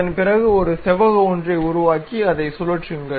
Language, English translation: Tamil, After that, construct a rectangular one and rotate it